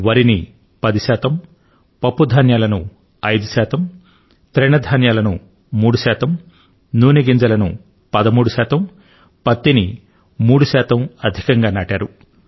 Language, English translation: Telugu, The sowing of paddy has increased by approximately 10 percent, pulses close to 5 percent, coarse cereals almost 3 percent, oilseeds around 13 percent and cotton nearly 3 percent